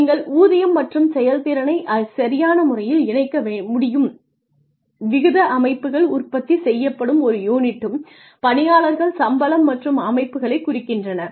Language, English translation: Tamil, You can link pay and performance appropriately piece rate systems refer to systems where workers are paid per unit produced